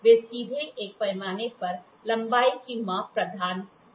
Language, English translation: Hindi, They will not directly provide the measurement of length on a scale